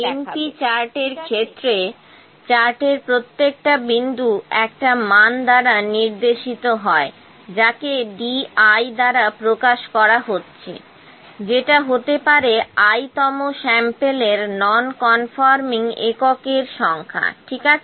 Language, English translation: Bengali, So, for the np charts, each point in the chart is given by a value node denoted by D i which is the number of nonconforming units maybe of the I th sample, ok